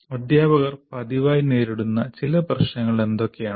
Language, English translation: Malayalam, And what are these problems teachers face frequently